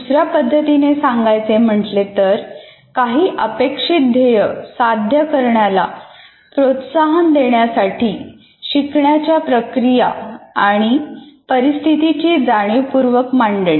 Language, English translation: Marathi, Or another way of stating, it is the deliberate arrangement of learning activities and conditions to promote the attainment of some intended goal